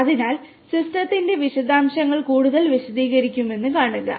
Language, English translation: Malayalam, So, see will further explain the details of the system